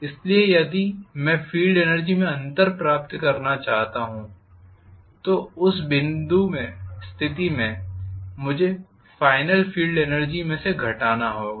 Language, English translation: Hindi, So if I want to do get the difference in field energy, in that case I have to minus whatever is the final field energy